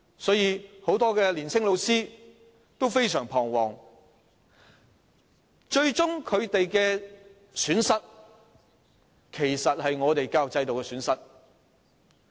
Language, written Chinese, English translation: Cantonese, 所以，很多年青老師都非常彷徨，而最終若我們失去了這些老師，其實是教育制度的損失。, For this reason many young teachers are greatly worried . If we eventually lose these teachers it is actually a loss for the education system Honourable Members as I said just now the school system in Hong Kong should support students